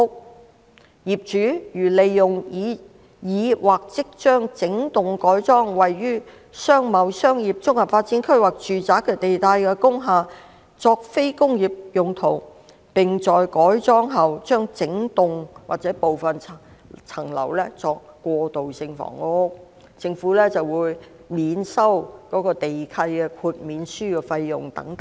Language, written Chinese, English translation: Cantonese, 具體來說，業主如利用已經或即將整幢改裝位於'商貿'、'商業'、'綜合發展區'及'住宅'地帶的工廈作非工業用途，並在改裝後將整幢或部分樓層用作過渡性房屋，政府會......免收......地契豁免書費用"等。, In practice the Government will charge a nil waiver fee if owners provide transitional housing in portions or entire blocks of industrial buildings located in C Comprehensive Development Area OUB and R zones which have already undergone or will pursue wholesale conversion into non - industrial uses